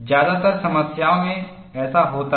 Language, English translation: Hindi, This happens in most of the problems